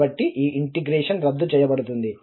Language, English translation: Telugu, So, that integral will cancel out